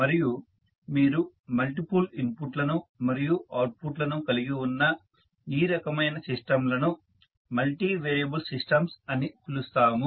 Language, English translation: Telugu, And this type of system where you have multiple inputs and outputs we call them as multivariable systems